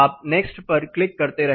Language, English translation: Hindi, You keep clicking next